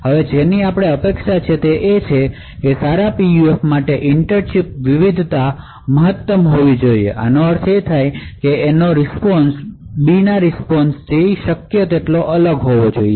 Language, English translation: Gujarati, Now what is expected is that for a good PUF the inter chip variation should be maximum, so this means that the response of A should be as different as possible from the response of B